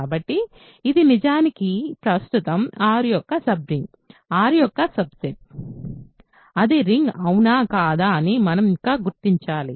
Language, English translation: Telugu, So, this is in fact a sub ring of R now right; subset of R, we have to still determine if it is a ring or not